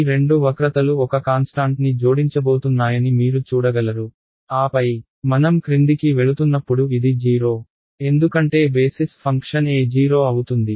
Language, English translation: Telugu, You can see that these two curves they are going to add to a constant and then, as I go down it is going to follow this all the way to 0